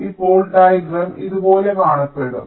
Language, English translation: Malayalam, so now the diagram will look something like this